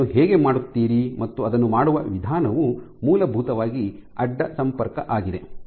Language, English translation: Kannada, So, how would you do that and the way to do that is essentially cross linking